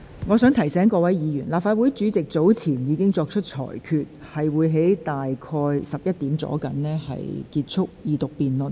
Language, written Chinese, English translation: Cantonese, 我提醒各位議員，立法會主席早前已作出裁決，將於上午11時左右結束二讀辯論。, I wish to remind Members that the President of the Legislative Council has made a ruling earlier that the Second Reading Debate will come to a close at 11col00 am